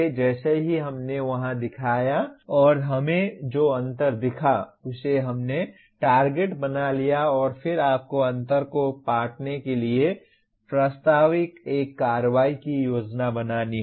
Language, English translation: Hindi, We got the target as we showed there and the gap also we have shown and then you have to plan an action proposed to bridge the gap